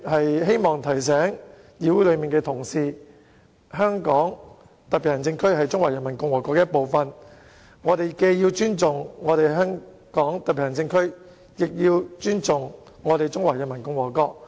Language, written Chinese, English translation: Cantonese, 我希望提醒本會同事，香港特別行政區是中華人民共和國的一部分，我們既要尊重香港特別行政區，也要尊重中華人民共和國。, I would like to remind Honourable colleagues of this Council that the Hong Kong Special Administrative Region HKSAR is a part of the Peoples Republic of China . Not only must we respect HKSAR we must also respect the Peoples Republic of China